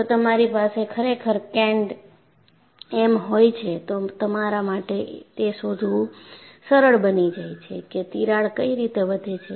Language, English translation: Gujarati, If you really have c and m, it is possible for you to find out what way the crack will grow